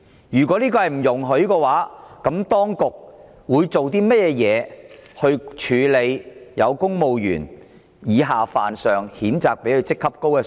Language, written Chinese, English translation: Cantonese, 如果不容許有此情況，當局會如何處理以下犯上、譴責上司的公務員？, If this is not allowed how will the authorities deal with civil servants who have offended and condemned their superiors?